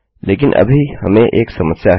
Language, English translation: Hindi, But now weve a problem